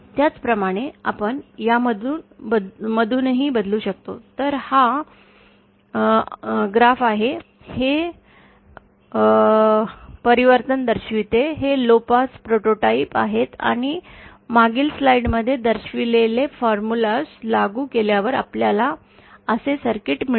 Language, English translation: Marathi, Similarly we can also transform from, so here this is a graph, this shows the transformation, these are the lowpass prototypes and after applying those formulas that are shown in the previous slide, we will get a circuit like this